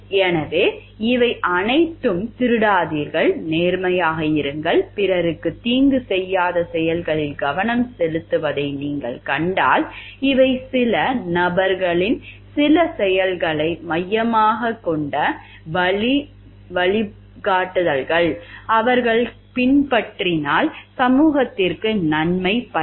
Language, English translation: Tamil, So, if you see these are all focusing on actions don't steal, be honest, don't harm others these are guidelines focused towards some actions of people which if they follow is going to be beneficial to the society at large